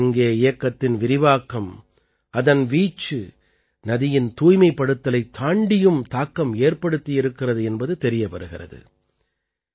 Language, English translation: Tamil, Obviously, the spread of the 'Namami Gange' mission, its scope, has increased much more than the cleaning of the river